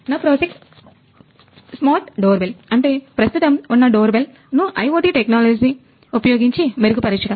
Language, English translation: Telugu, Our project is a Smart Doorbell which is using the IoT technologies to improve the present day doorbells